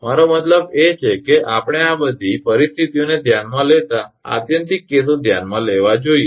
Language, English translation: Gujarati, I mean just to consider the extreme cases we have to consider all this conditions